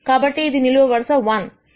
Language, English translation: Telugu, So, this is column 1